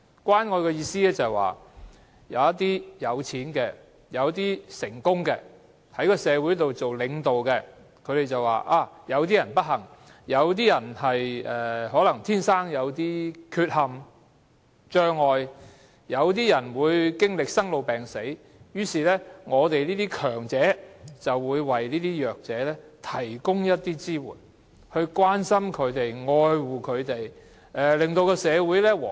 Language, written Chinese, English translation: Cantonese, 關愛的意思是，有一些有錢的、成功的、在社會擔任領導的人，他們認為有些人不幸，有些人天生有缺陷或障礙、有些人經歷生老病死的困苦，於是他們這些強者便會為弱者提供支援，從而表達關心、愛護，令社會更和諧。, What does it mean? . It means that some wealthy and successful persons as well as leaders in society think that since certain people are unfortunate suffering from congenital deficiencies or disabilities or caught in the plights of illness and death they as the stronger members in society should express love and care to the weak by providing support to these people